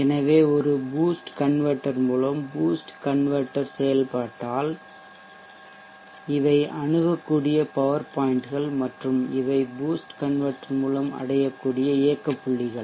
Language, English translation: Tamil, So with a boost converter in the boost converter operation these are the accessible power points and these are the operating points that are reachable by the boost converter